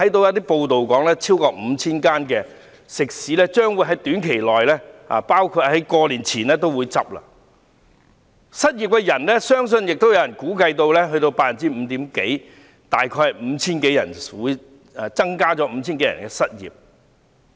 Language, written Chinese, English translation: Cantonese, 有報道指，超過 5,000 間食肆將於短期內或農曆新年前結業，也有人估計失業率將高達 5% 多一點，失業人數將增加約 5,000 多人。, According to a report more than 5 000 restaurants will close in a short time or before the Chinese New Year . It has also been estimated that the unemployment rate will slightly exceed 5 % and the number of unemployed persons will increase to more than 5 000 people